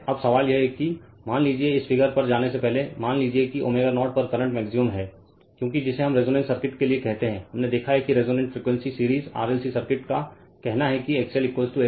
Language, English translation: Hindi, Now question is that suppose before before coming to this figure suppose at omega 0 current is maximum becausefor your what we call for resonance circuit, we have seen that your the resonant frequency series RLc circuit say that XL is equal to XC